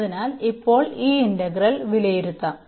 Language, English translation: Malayalam, So, now let us evaluate this integral